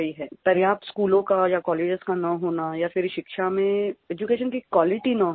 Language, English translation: Hindi, Either the required amount of schools and colleges are not there or else the quality in education is lacking